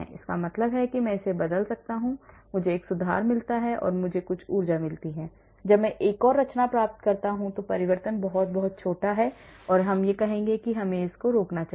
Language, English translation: Hindi, that means I change I get a conformation I get some energy when I get another conformation the change is very, very small then I would say let me stop